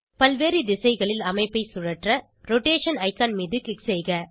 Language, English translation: Tamil, Click on the Rotation icon to rotate the structure in various directions